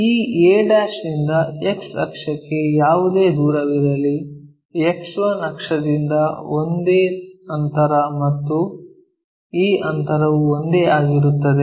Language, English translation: Kannada, So, a' to X axis whatever the distance, the same distance from X 1 axis so, this distance and this distance one and the same